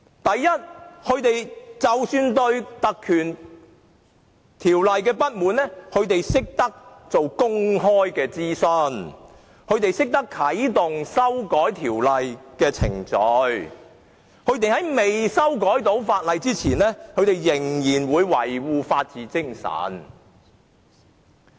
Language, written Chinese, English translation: Cantonese, 首先，當他們對特權條例不滿時，便進行公開諮詢，並啟動修改條例的程序，而在未修改法例前仍會維護法治精神。, First when they were dissatisfied with the legislation on privileges they conducted a public consultation and triggered the process for amending the legislation . They have continued to uphold the spirit of the rule of law before the amendment of the legislation